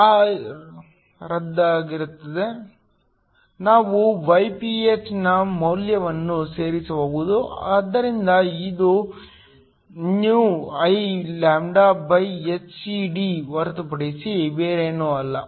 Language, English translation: Kannada, A gets canceled, we can plug in the value of γPh, so this is nothing but ηIλhcD